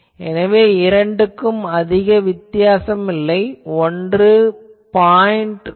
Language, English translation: Tamil, So, you see that ultimately, there is not much difference one is 0